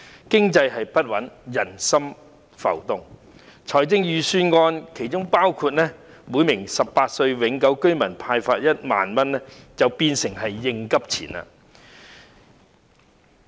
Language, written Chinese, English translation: Cantonese, 經濟不穩，人心浮動，故此預算案建議向每名18歲或以上永久性居民派發的1萬元，便成為應急錢。, Given the volatile economy and unstable popular sentiments the Budget proposes to disburse 10,000 to each permanent resident aged 18 or above to meet contingency needs